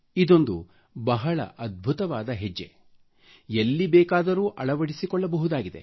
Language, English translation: Kannada, This is a great initiative that can be adopted anywhere